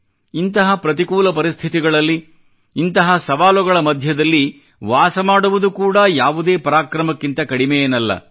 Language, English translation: Kannada, Living in the midst of such adverse conditions and challenges is not less than any display of valour